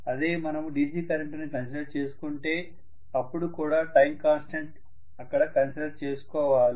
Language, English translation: Telugu, If you actually considered DC current you have to again consider the time constant there too